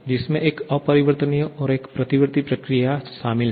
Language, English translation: Hindi, It comprises of one irreversible and a reversible process